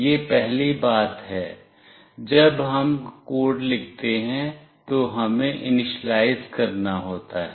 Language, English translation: Hindi, This is the first thing, we have to initialize when we write the code